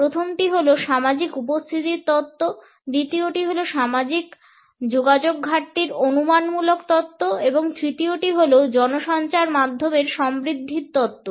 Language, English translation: Bengali, The first is a social presence theory, the second is lack of social contact hypothesis and the third is the media richness theory